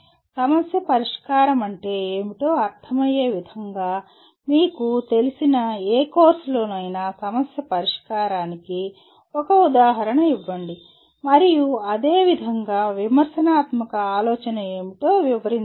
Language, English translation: Telugu, Give an example of problem solving in any of the courses that you are familiar with in the way you understand what is problem solving and similarly what is critical thinking as it is explained